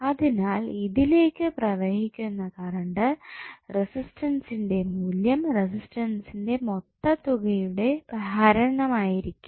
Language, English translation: Malayalam, So, the current flowing in this would be the value of resistances divided by the sum of the resistances